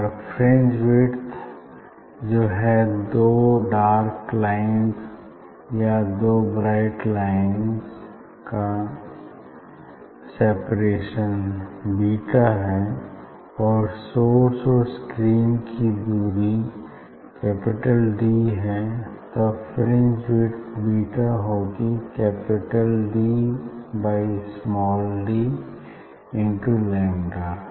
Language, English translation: Hindi, if the fringe width; fringe width separation of this two dark lines or separation of two bright lines, there is the fringe width, if this fringe width is beta and the source and screen distance is capital D; it is capital D then the relation is that fringe width beta equal to this capital D divided by small d into lambda; what is lambda